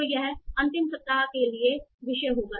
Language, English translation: Hindi, So this will be the topic for the final week